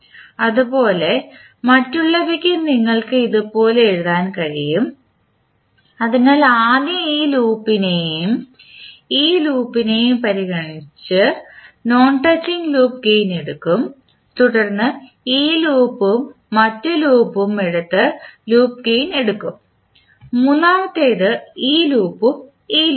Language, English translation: Malayalam, Similarly, for others also you can write, so first we will take non touching loop gain by considering this loop and this loop then we take the loop gain by taking this loop and the other loop and then third one you take this loop and this loop